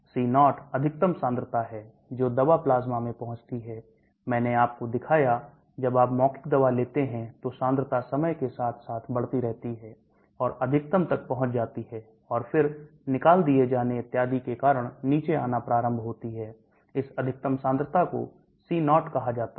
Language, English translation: Hindi, C0 is the maximum concentration the drug reaches in the plasma, I showed you, when you take oral drug, concentration keeps going up with function of time reaches a maximum and then starts coming down because of elimination and so on, that maximum concentration is called C0